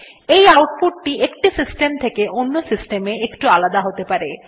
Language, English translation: Bengali, This may slightly vary from one system to another